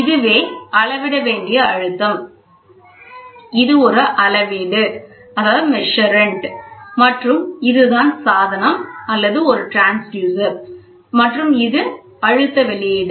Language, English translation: Tamil, So, pressure which is to be measured, this is a measurand and this is what is the device or a transducer and this is the output